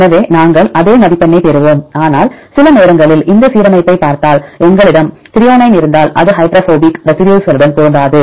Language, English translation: Tamil, So, then we will get the same score, but if you look into this alignment sometimes if we have the threonine it won’t match with the hydrophobic residues